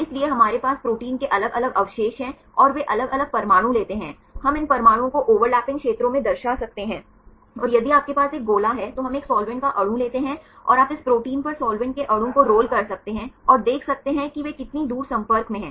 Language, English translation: Hindi, So, we have the protein different residues and they take a different atoms, we can represent these atoms in the over lapping spheres and if you have a sphere, then we take a solvent molecule and you could roll the solvent molecule on this protein and see how far they are in contact